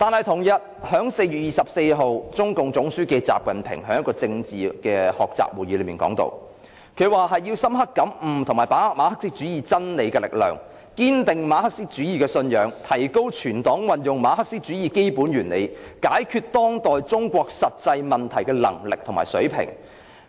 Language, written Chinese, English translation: Cantonese, 同日，中共總書記習近平在一個政治學習會議上表示，要"深刻感悟和把握馬克思主義真理力量，堅定馬克思主義信仰......提高全黨運用馬克思主義基本原理解決當代中國實際問題的能力和水平。, On the same day 24 April at a political study meeting XI Jinping General Secretary of CPC demanded to understand and grasp the power of the truth of Marxism firm up Marxist belief enhance the ability of the whole Party to solve the practical problems of contemporary China with the basic principles of Marxism